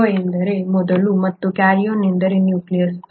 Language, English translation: Kannada, Pro means before, and karyon means nucleus